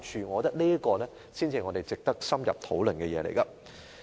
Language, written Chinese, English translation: Cantonese, 我覺得這才是值得深入討論的事情。, In my opinion these merit our in - depth discussion